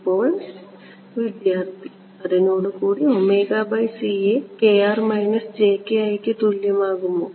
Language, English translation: Malayalam, Be with those can omega by c equal to kr minus jki